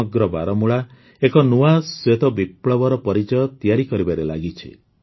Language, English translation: Odia, The entire Baramulla is turning into the symbol of a new white revolution